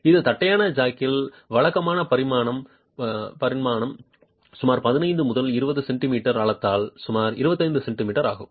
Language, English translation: Tamil, Typical dimension of a flat jack is about 25 centimeters by depth of about 15 to 20 centimeters